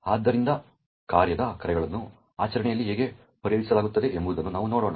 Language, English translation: Kannada, So, let us see how function calls are resolved in practice